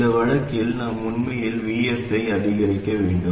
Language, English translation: Tamil, So, this means that to reduce VGS we must increase Vs